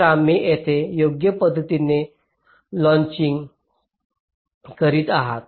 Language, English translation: Marathi, so you are correctly latching it here